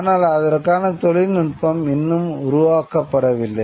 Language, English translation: Tamil, But the technology has not yet been developed